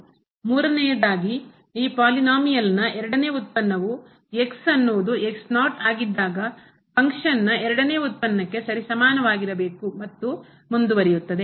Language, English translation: Kannada, The third condition the second derivative of this polynomial at this point is equal to the second derivative of the function at the and so on